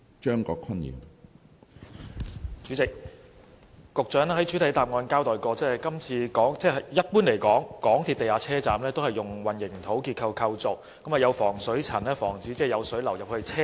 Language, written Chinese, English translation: Cantonese, 主席，局長在主體答覆中指出，一般而言，港鐵地下車站結構是以混凝土建造，設有防水層以防止有水流入車站內。, President in the main reply the Secretary points out that in general MTR underground stations are constructed using a concrete structure and with a waterproof layer to prevent ingress of water into stations